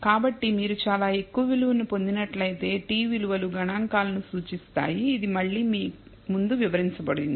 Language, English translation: Telugu, So, if you get a very high value, t values represents the statistic which have again described earlier